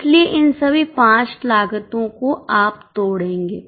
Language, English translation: Hindi, So, all these five costs you will break down